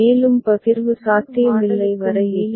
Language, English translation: Tamil, This continues till no further partition is possible